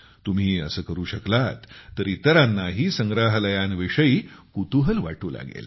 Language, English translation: Marathi, By doing so you will also awaken curiosity about museums in the minds of others